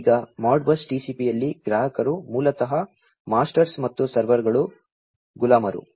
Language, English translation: Kannada, Now, in Modbus TCP the clients are basically the masters and the servers are the slaves